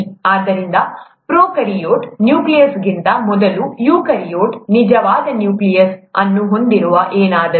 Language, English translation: Kannada, So, prokaryote, before nucleus, eukaryote, something that has a true nucleus